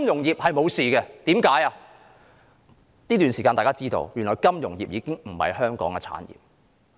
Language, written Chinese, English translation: Cantonese, 在這段時間，大家知道，原來金融服務業已不是香港的產業。, During this period of time we have come to realize that the financial services industry is no longer an industry of Hong Kong